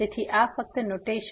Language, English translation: Gujarati, So, this is just the notation